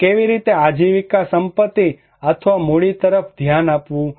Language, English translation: Gujarati, So, how one look into these livelihood assets or capitals